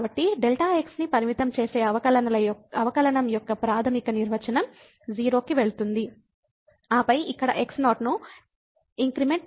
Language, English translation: Telugu, So, the fundamental definition of the derivative that limit delta goes to 0 and then, we will make an increment here in